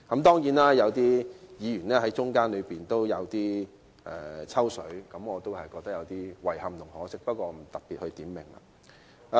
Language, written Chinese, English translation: Cantonese, 當然，有些議員在討論期間有點"抽水"，我對此感到有點遺憾和可惜，不過我不特別點名了。, Certainly I feel a bit sorry and regretful that some Members sought to piggyback on the discussions but I will not name names in particular